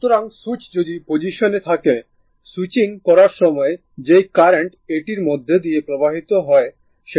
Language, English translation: Bengali, So, if switch is in position if switch is in position this one, at the just at the time of switching the current flowing through this is i 0 plus right